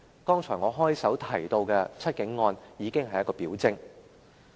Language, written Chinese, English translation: Cantonese, 我在開場白提及的"七警案"已經是一項表徵。, The Seven Cops case mentioned in my opening remarks is a clear symptom